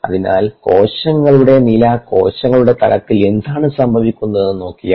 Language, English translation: Malayalam, so that is one more step towards understanding what is happening at a cellular status, cellular level